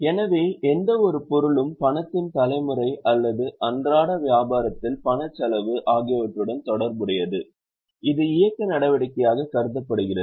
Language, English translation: Tamil, So, any item which is related to either generation of cash or expenditure of cash on day to day business which is considered as operating activity